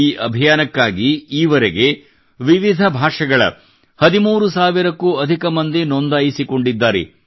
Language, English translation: Kannada, For this more than 13 thousand people have registered till now and that too in 14 different languages